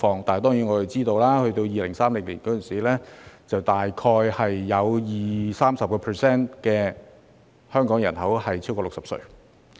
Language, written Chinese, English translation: Cantonese, 當然，我們知道到了2030年，香港人口中大概有 20% 至 30% 的人超過60歲。, Of course we know that by 2030 20 % to 30 % of the Hong Kong population will be over 60 years old